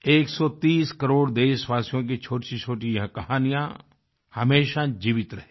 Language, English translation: Hindi, These minute stories encompassing a 130 crore countrymen will always stay alive